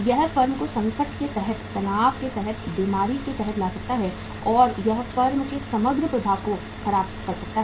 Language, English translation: Hindi, It can bring the firm under distress, under the stress, under the sickness and it can spoil the overall running flow of the firm